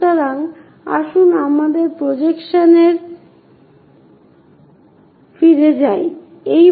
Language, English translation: Bengali, So, let us go back to our presentation